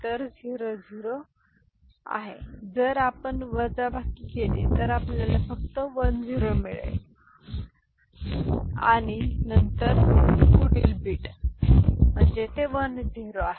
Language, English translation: Marathi, So, this is 0 0 if you subtract you get 1 0 only and then you take the next bit so that is 1 0 1